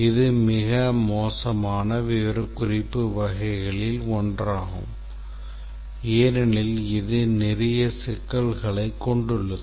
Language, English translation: Tamil, This is one of the worst types of specification because it has a lot of problems